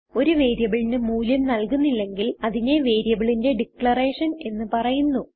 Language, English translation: Malayalam, If a value is not assigned to a variable then it is called as declaration of the variable